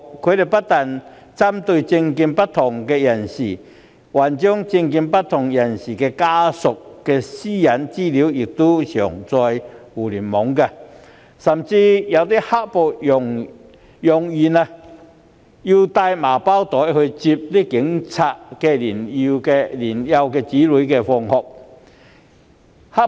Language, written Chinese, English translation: Cantonese, 他們不但針對政見不同的人士，更將其家屬的個人資料上載互聯網，甚至揚言要帶同麻包袋前往接警務人員的年幼子女放學。, They targeted not only people holding different political views but also their family members in that they uploaded also the latters personal data onto the Internet and even threatened to bring along sacks to pick up the police officers younger children from school